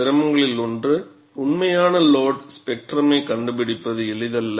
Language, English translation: Tamil, And one of the difficulties is, finding out the actual loads spectrum; it is not simple